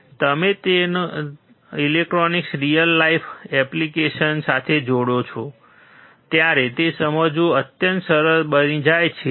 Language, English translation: Gujarati, When you connect your electronics with real life applications, it becomes extremely easy to understand